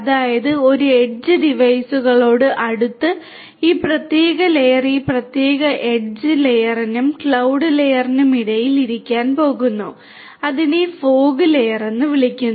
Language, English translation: Malayalam, That means closer to this edge devices and this particular layer is going to sit between this particular edge layer and the cloud layer and that is called the fog layer